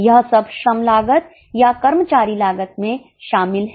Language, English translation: Hindi, All this is included in the labour cost or employee cost